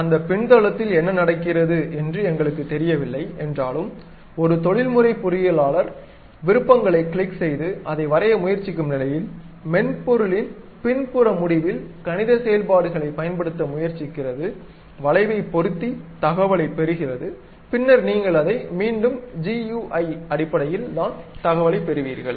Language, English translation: Tamil, Though, we do not know what is happening at that backend, because a professional engineer will be in a position to only click the options try to draw that, but at back end of the software what it does is it uses this mathematical functions try to fit the curve and get the information, then that you will again get it in terms of GUI